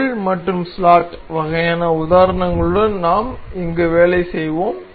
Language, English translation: Tamil, We will work here with pin and slot kind of example